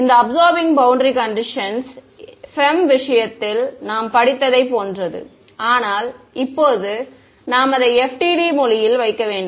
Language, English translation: Tamil, These absorbing boundary conditions are the same as what we studied in the case of FEM ok, but now we have to put it in the language of FDTD ok